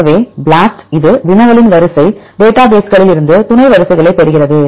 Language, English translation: Tamil, So, the BLAST it finds the sub sequences from the sequence databases of the query sequence